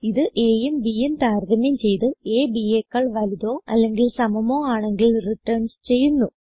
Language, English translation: Malayalam, It compares a and b and returns true if a is greater than or equal to b